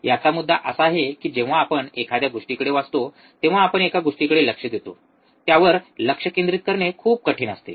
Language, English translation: Marathi, the point of this is whenever we look at something we read at something, it is very hard to concentrate